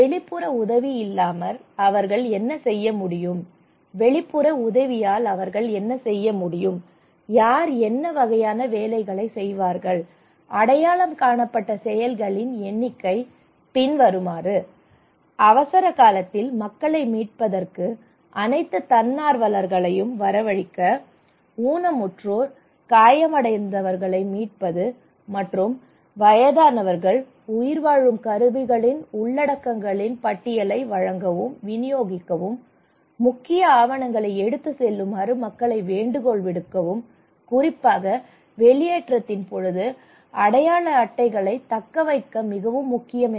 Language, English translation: Tamil, What they can do without external help and what they can do with the external help and these are some of the tasks representing that who will do what kind of task, here you can see the number of actions they had identified like to summon all volunteers to come forward to rescue people in emergency to rescue disabled, injured, and elderly people to provide and distribute the list of contents of survival kits, to appeal people to carry the vital documents